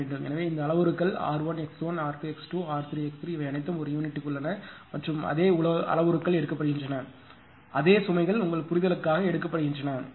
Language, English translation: Tamil, So, this parameters r 1 x 1, r 2 x 2 and r 3 x 3 this all are in per unit and same parameters are taken same loads are taken for your understanding